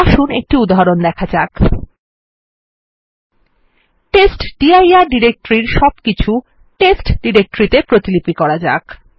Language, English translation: Bengali, Let us try to copy all the contents of the testdir directory to a directory called test